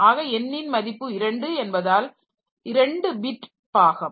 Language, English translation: Tamil, So, n equal to 2 is that that is 2 bits per